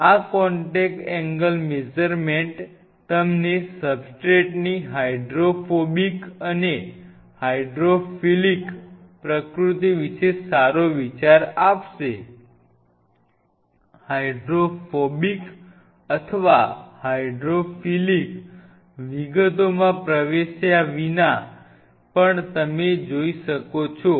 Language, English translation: Gujarati, These contact angle measurements will give you a fairly good idea about the hydrophobic and hydrophilic nature of the substrate; hydrophobic or hydrophilic how even without getting into the details you can see if